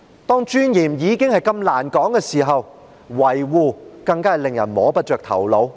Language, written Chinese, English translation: Cantonese, 當尊嚴已經難以說得上的時候，維護尊嚴更令人摸不着頭腦。, When there is hardly any dignity to speak of it is all the more incomprehensible to talk about preservation of dignity